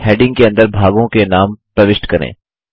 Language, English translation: Hindi, Now, lets enter the names of the components under the heading